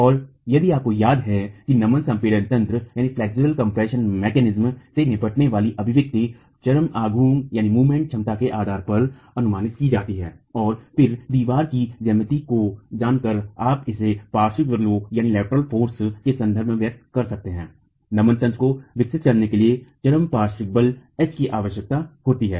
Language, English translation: Hindi, And if you remember the expression dealing with the flexural compression mechanism is estimated based on the ultimate moment capacity and then knowing the geometry of the wall you can express it in terms of the lateral force, ultimate lateral force H required for developing the flexual mechanism